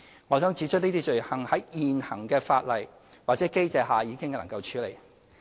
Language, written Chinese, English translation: Cantonese, 我想指出，這些罪行在現行法例或機制下已能處理。, I wish to point out that these offences can already be addressed under the current laws or mechanisms